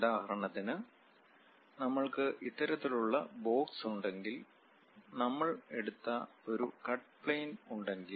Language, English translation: Malayalam, For example if we have this kind of box, block; if there is a cut plane, we have chosen